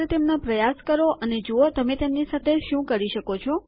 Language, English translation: Gujarati, Just try them out and see what all you can do with them